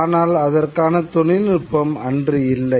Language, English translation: Tamil, But the technology has not yet been developed